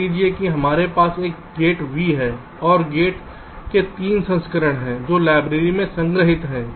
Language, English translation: Hindi, suppose we have a gate v and there are three versions of the gates which are stored in the library